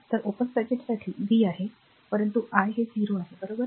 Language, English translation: Marathi, So, for open circuit v is there, but i is 0, right